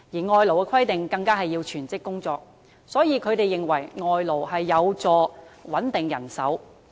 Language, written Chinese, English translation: Cantonese, 外勞的規定是要全職工作，所以，他們認為外勞有助穩定人手。, Foreign labour is required to work full - time . For this reason they consider that foreign labour can help stabilize the manpower situation